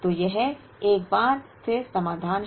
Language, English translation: Hindi, So, this is the solution once again